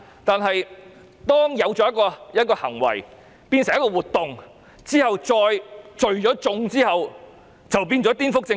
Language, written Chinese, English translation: Cantonese, 但當一個行為變成一個活動，再加上聚眾，很可能就構成顛覆政權。, But when an act becomes an activity combined with the gathering of a crowd it may very likely constitute subversion of state power